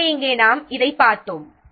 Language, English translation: Tamil, So, here what is being shown